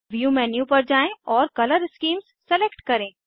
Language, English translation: Hindi, Go to View menu and select Color schemes